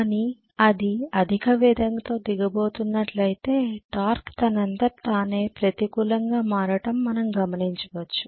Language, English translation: Telugu, But if it is going to go down at high speed I am going to see right away that the torque automatically becomes negative